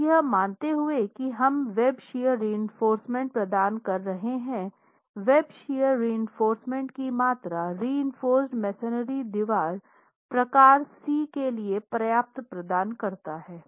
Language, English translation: Hindi, Now assuming that we are providing WebShare reinforcement is the amount of WebShare reinforcement provided adequate for reinforced masonry wall type C